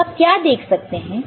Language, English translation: Hindi, So, what you will see here